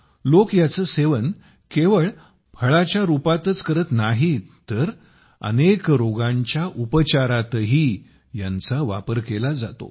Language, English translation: Marathi, People consume it not only in the form of fruit, but it is also used in the treatment of many diseases